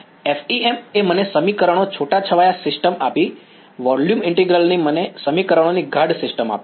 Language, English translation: Gujarati, Right, FEM gave me a sparse system of equations volume integral give me a dense system of equations